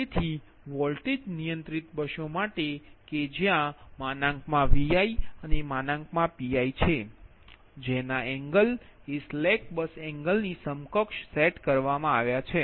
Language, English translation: Gujarati, so for voltage controlled buses, where magnitude vi and pi schedule are specified, phase angles are set equal to the slack bus angle